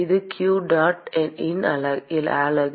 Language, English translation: Tamil, It is the unit of qdot